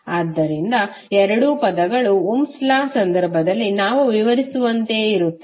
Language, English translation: Kannada, So you can see that both of the terms are similar to what we describe in case of Ohm's Law